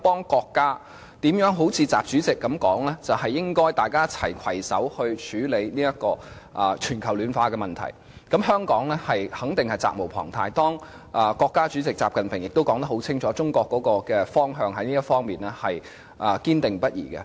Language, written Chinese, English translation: Cantonese, 既然習主席表示大家應攜手處理全球暖化問題，香港在協助國家方面肯定責無旁貸，而習主席亦已清楚說明，中國在此事的方向堅定不移。, As President XI has said that we should all work together to tackle global warming there is no doubt that Hong Kong must support our country . President XI has made it clear that China will stick to this direction